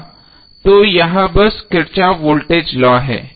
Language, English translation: Hindi, So that is simply the Kirchhoff’s voltage law